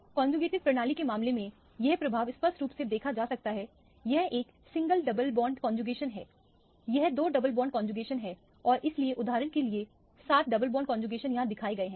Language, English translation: Hindi, This effect can be clearly seen in the case of conjugated system, this is a single double bond conjugation, this is two double bond conjugation and so on up to for example, 7 double bond conjugation is shown here